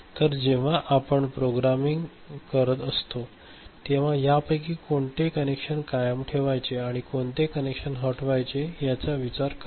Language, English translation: Marathi, So, when you are doing programming, so your are considering which of these connections are to be retained and which of the connections are to be removed, is it clear ok